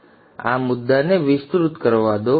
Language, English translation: Gujarati, So let me expand this point